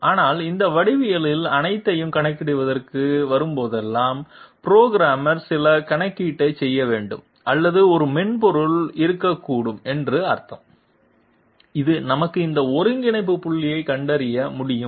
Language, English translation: Tamil, But whenever it comes to computation of all these geometry, there I mean the programmer has to do some calculation or there can be a software which can find out these coordinate points for us, how can that software do that